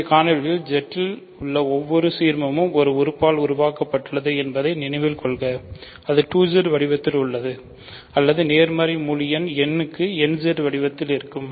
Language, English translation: Tamil, Remember we have shown in an earlier video that every ideal in Z is generated by a single element it is of the form 2Z or nZ for a positive integer n